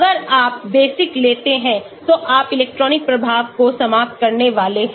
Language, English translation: Hindi, if you bring basic then you are going to have electronic effect coming in term